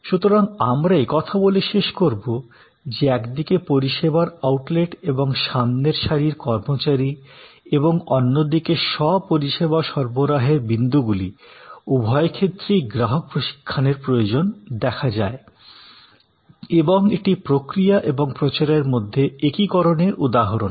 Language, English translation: Bengali, So, we conclude by saying that for one class service outlets and front line employees and for another class the self service delivery points, the customer training both are instances of the fusion necessary between process and promotion